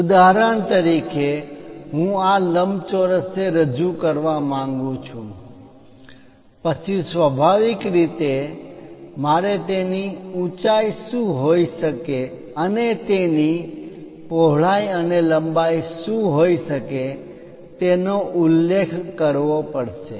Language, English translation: Gujarati, For example, I want to represent this rectangle, then naturally, I have to mention what might be height and what might be its width and length